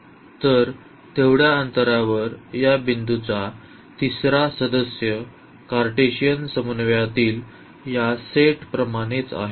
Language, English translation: Marathi, So, that distance the third member of this point here is the same as this set in the Cartesian coordinate